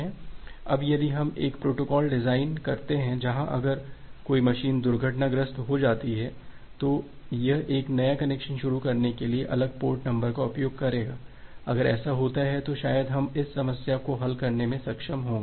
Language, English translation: Hindi, Now if we design a protocol where if a machine get crashed, it will use different port number for initiating a new connection, if that is the case, then probably we will be able to solve this problem